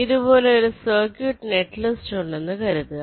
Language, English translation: Malayalam, let say i have a circuit netlist like this